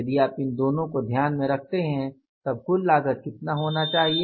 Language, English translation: Hindi, If you take these two into consideration, how much it works out as total cost